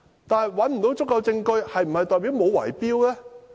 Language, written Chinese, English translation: Cantonese, 但是，找不到足夠證據，是否代表沒有圍標呢？, However although it could not find sufficient evidence does it mean there was no bid - rigging?